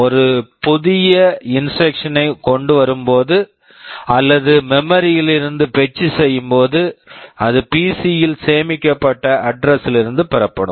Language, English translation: Tamil, Whenever a new instruction is brought or fetched from memory it will be fetched from the address which is stored in the PC